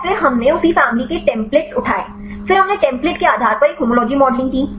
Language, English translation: Hindi, So, then we picked up the templates the same family; then we did a homology modeling based on the template